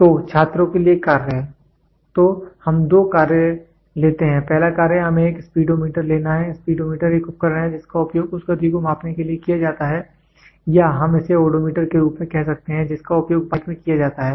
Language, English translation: Hindi, So, task for students: So, let us take two tasks, the first task is let us take a Speedometer; Speedometer is a device which is used to measure the speed which is used or we can we call it as Odometer which is used in bikes